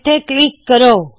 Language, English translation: Punjabi, Let me click here